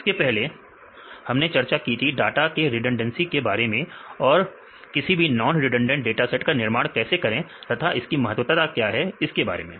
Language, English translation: Hindi, Earlier we discussed about the data redundancy how to construct non redundant dataset and what is the importance of non redundant data set right